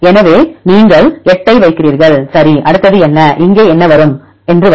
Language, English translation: Tamil, So, you put 8, right what is next one what will come what will come here